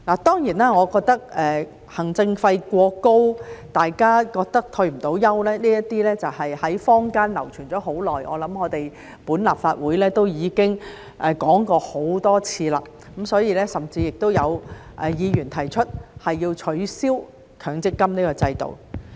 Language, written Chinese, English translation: Cantonese, 當然，我認為行政費過高，大家認為積存的金額不足以退休，這些在坊間流傳了很長時間，我想立法會亦已經討論過很多次，所以甚至有議員提出要取消強積金制度。, Of course I think the administration fee is too high and people think that the accumulated benefits are not enough for retirement . There have been these views in the community for a long time and I think the Legislative Council has already discussed them many times . This is why some Members have even suggested the abolition of the MPF system